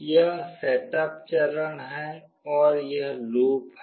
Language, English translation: Hindi, This is setup phase and this is the loop